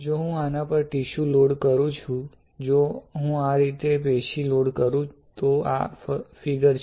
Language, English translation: Gujarati, So, if I load tissue on this right, if I load tissue on this like this, this is the figure correct